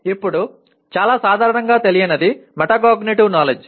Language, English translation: Telugu, Now come something not very commonly known is Metacognitive Knowledge